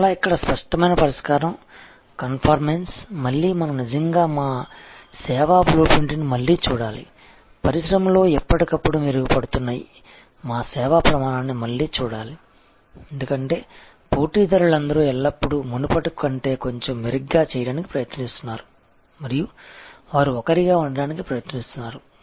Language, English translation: Telugu, Again, here obvious the solution is conformance, again we have to actually relook at our service blue print, relook at our they ever improving service standard in the industry, because all competitors are always trying to do a bit better than before and they are trying to be one up